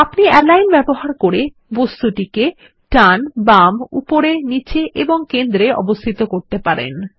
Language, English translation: Bengali, We use the Align toolbar to align the selected object to the left, right, top, bottom and centre